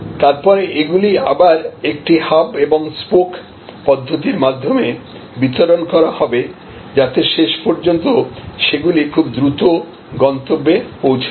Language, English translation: Bengali, Then, they will be distributed again through a hub and spoke mechanism and ultimately to reach very fast the destination